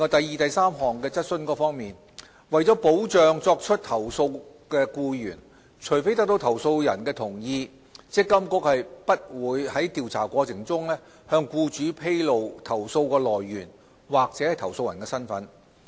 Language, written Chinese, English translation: Cantonese, 二及三為保障作出投訴的僱員，除非得到投訴人的同意，積金局並不會在調查過程中向僱主披露投訴來源或投訴人的身份。, 2 and 3 To protect employees who lodge complaints MPFA will not disclose to employers the source of complaints or the complainants identity during the investigation process unless consent is obtained from the complainants